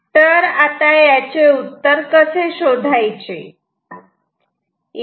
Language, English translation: Marathi, Now, how to find this answer